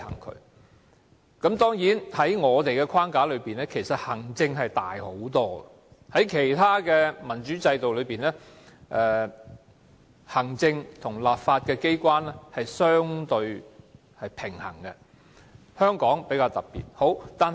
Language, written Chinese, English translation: Cantonese, 當然，在現時的框架下，行政權相對較大，而在其他民主制度的行政和立法機關則相對平衡，只是香港的情況較特別。, Of course under the existing framework executive powers are relatively greater . In other democratic systems however the powers of the executive and legislative bodies are more balanced . The case of Hong Kong is therefore pretty extraordinary